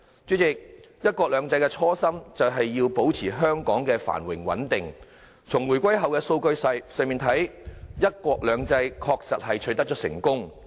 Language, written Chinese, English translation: Cantonese, 主席，"一國兩制"的初心就是要保持香港的繁榮穩定，從回歸後的數據來看，"一國兩制"確實取得了成功。, President the original intent of one country two systems is to maintain the prosperity and stability of Hong Kong and judging from the statistics following the reunification one country two systems has indeed been successfully implemented